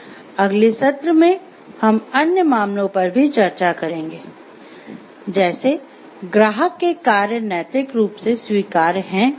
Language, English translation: Hindi, In the next we will discuss other cases about; like the whether the actions of client a is morally permissible or not